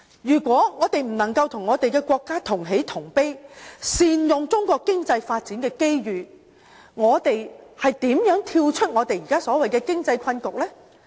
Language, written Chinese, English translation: Cantonese, 如果我們不能與國家同喜同悲，善用中國經濟發展的機遇，我們如何跳出現時所謂的經濟困局呢？, How can we overcome this so - called economic stalemate if we cannot share the same feeling with the country and leverage on opportunities arising from Chinas economic development?